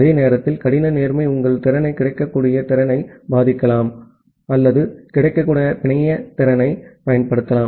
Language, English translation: Tamil, And at the same time, hard fairness can affect your capacity, the available capacity or it can under utilize the available network capacity